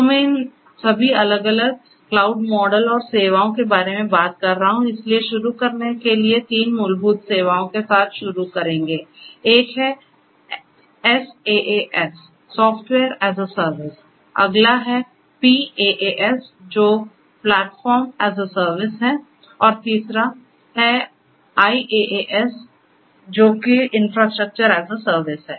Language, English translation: Hindi, So, now I was talking about all these different cloud models and the services, so there are to start with there were three fundamental services one is the SaaS Software as a Service, the next one is PaaS which is Platform as a Service, and the third one is IaaS which is the Infrastructure as a Service